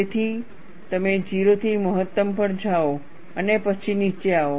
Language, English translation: Gujarati, So, you go from 0 to maximum, and then come down